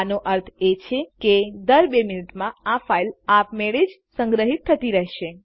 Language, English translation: Gujarati, This means that the file will automatically be saved once every two minutes